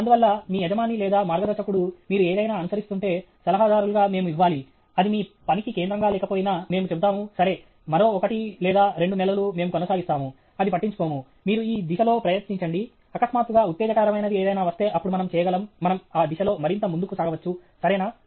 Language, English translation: Telugu, Therefore, your boss or guide or whatever, if you are pursuing something, as advisers we should give okay, even though it may not be central to your work, we will say, ok, another one or two months we will go, it doesn’t matter; you try this line; suddenly, if something exciting comes, then we can, we can pursue further in that line; is that ok